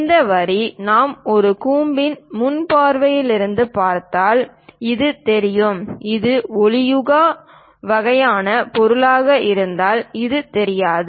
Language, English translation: Tamil, This line, if we are looking from frontal view of a cone, this is visible; and this one may not be visible if it is opaque kind of object